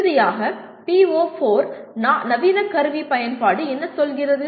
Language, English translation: Tamil, Finally, the PO4 the modern tool usage what does it say